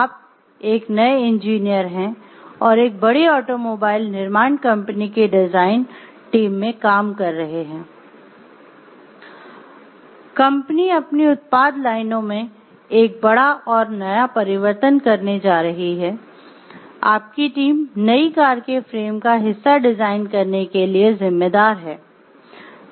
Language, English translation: Hindi, So, you are a new engineer working as a part of a design team for a large automobile manufacturing company, the company is doing a major redesign of one of its product lines, your team is responsible for designing part of the frame of the new car